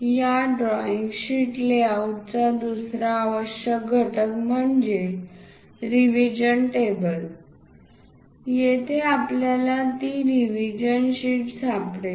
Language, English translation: Marathi, The other essential component of this drawing sheet layout is revision table, here we can find that revision sheet